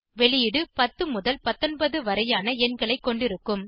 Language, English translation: Tamil, The output will consist of numbers 10 through 19